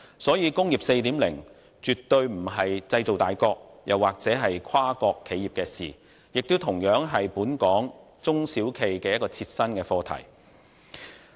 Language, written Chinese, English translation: Cantonese, 所以，"工業 4.0" 絕對不是製造大國或跨國企業的事，也同樣是本港中小企的切身課題。, Therefore Industry 4.0 is by no means a matter involving major manufacturing countries or multinational enterprises but is also of crucial interest to small and medium enterprises in Hong Kong